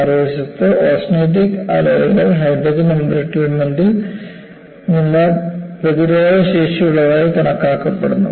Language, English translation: Malayalam, On the other hand, austenitic alloys are often regarded as immune to the effects of hydrogen